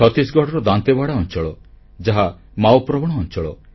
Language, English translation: Odia, Dantewada in Chattisgarh is a Maoist infested region